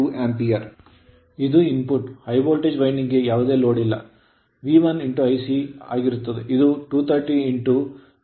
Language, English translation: Kannada, Now input on no load to high voltage winding will be V1 into I c